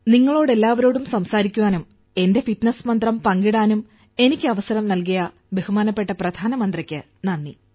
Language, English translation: Malayalam, Many thanks to the Honorable Prime Minister for giving me the opportunity to talk to you all and share my fitness mantra